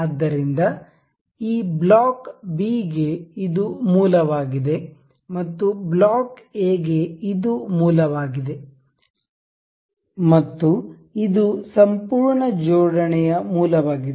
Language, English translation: Kannada, So, this is the origin for this block block B this is the origin for block A and this is the origin of the complete assembly